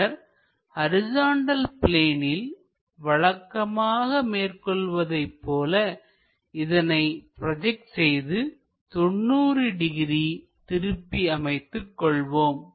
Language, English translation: Tamil, So, this point has to be projected onto horizontal plane and rotate it by 90 degrees